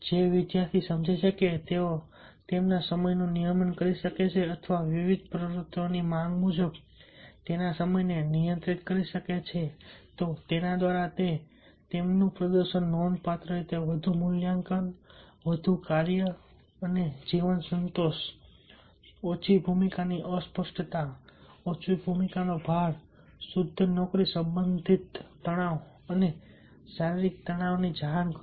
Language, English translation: Gujarati, students who perceive that they can regulate their time or control their time as per the demands of various activities, they reported significantly greater evaluation of their performance, greater work and life satisfaction, less role ambiguity, less role overload and pure job related tensions and somatic tensions